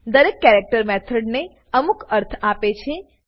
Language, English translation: Gujarati, = Each of the characters add some meaning to the method